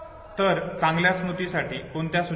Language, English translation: Marathi, So what are the tips for better memory